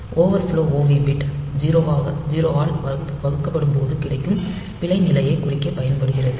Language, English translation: Tamil, And overflow OV bit is used to indicate it divide by 0 error condition